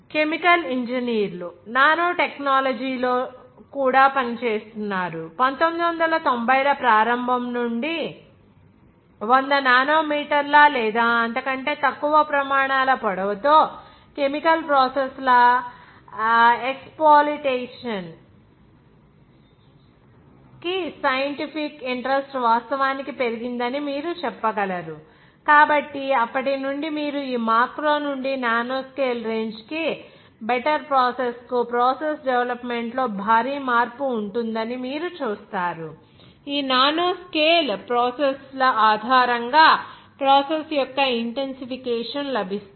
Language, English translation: Telugu, Chemical engineers also work in nanotechnology, like you can say that the scientific interest was grown actually to the exploitation of chemical processes with the length of scales of the order of 100 nanometers or less since early 1990’s so from then onwards you will see that there will be huge change of process development from this macro to the nanoscale range to better process will get the intensification of the process based on this nanoscale processes